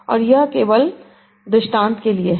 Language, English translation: Hindi, This is just an illustration